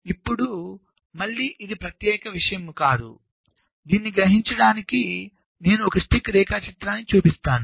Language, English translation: Telugu, now again, this is a, not a unique thing, so i have shown one possible stick diagram to realize this